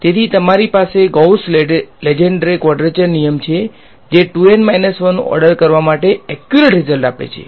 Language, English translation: Gujarati, So, you have a Gauss Lengedre quadrature rule which is accurate to order 2 N minus 1 right